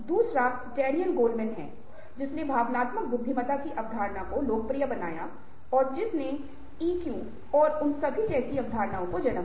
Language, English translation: Hindi, creativity: the second is daniel golman who popularised the concept of emotional intelligence and which gave rise to concepts like e, q and all that